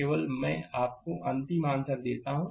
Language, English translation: Hindi, Only I give you the final answer